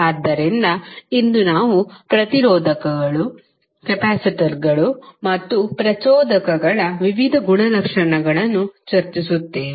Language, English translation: Kannada, So, today we will discuss the various properties of resistors, capacitors, and inductors